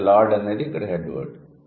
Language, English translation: Telugu, So, Lord is the head word, right